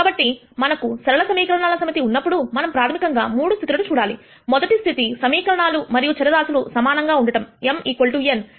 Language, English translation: Telugu, So, when we have a set of linear equations we basically said that there are 3 cases that one needs look at, one case is where number of equations and variables are the same m equal to n